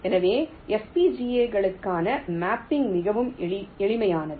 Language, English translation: Tamil, so the mapping for fbgas is much simpler